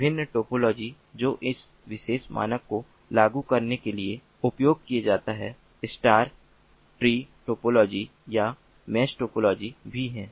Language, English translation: Hindi, the different topologies that are used for implementing this particular standard is the star or the tree topology or the mesh topology as well